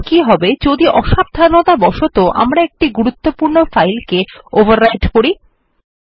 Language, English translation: Bengali, Now what if we inadvertently overwrite an important file